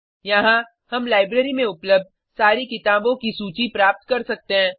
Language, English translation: Hindi, We can see the list of all the books available in the library